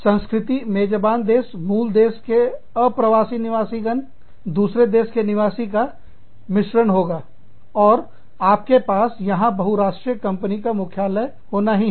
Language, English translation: Hindi, The culture, will be a mix of, host country, of parent country nationals, of Inpatriates, of the other country nationals And, you will have to have, a multinational headquarter, here